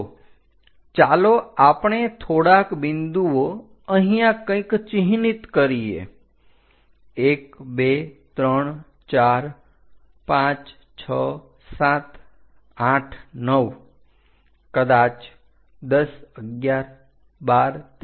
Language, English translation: Gujarati, So, let us mark few points somewhere here, 1, 2, 3, 4, 5, 6, 7, 8, 9, maybe 10, 11, 12, 13 and 14